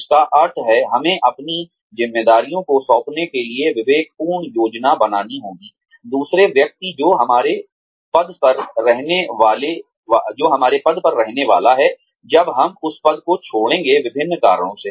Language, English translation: Hindi, Which means, that we have to plan judiciously, for handing over our responsibilities, to the other person, who is going to be in our position, when we leave that position, for various reasons